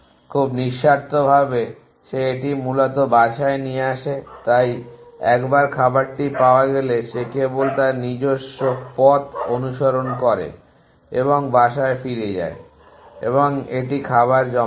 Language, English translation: Bengali, Very unselfishly it brings bag to the nest essentially so once it is found this food it just follow its own trail back and goes back to the next and deposits a food